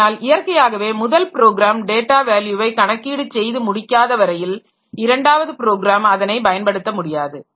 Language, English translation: Tamil, Though naturally, until unless the first program has computed the data value, the second program cannot use it